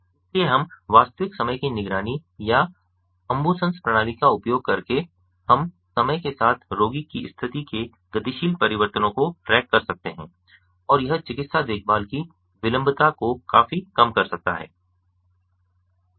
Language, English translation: Hindi, so using the real time monitoring we can, or the ambusens system, we can track the dynamic changes of the patients condition over time and this can significantly reduce the latency of the medical care ah the existing system